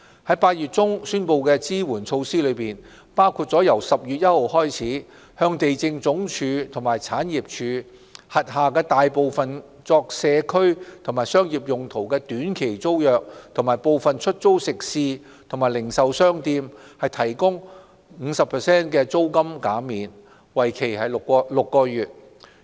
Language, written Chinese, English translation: Cantonese, 在8月中宣布的支援措施，包括由10月1日起向地政總署及政府產業署轄下大部分作社區及商業用途的短期租約和部分出租食肆及零售商店提供 50% 的租金減免，為期6個月。, Among the relief measures announced in August rentals for most short - term tenancies for community and business use as well as catering establishments and retail stores under the Lands Department and Government Property Agency GPA have been reduced by 50 % for six months with effect from 1 October